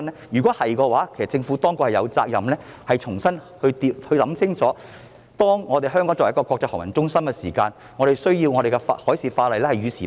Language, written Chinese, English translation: Cantonese, 如是者，政府有責任重新考慮清楚，香港作為國際航運中心，需具備與時並進的海事法例。, If so the Government is duty - bound to reconsider carefully whether Hong Kong as an international maritime centre needs to keep its marine legislation up - to - date?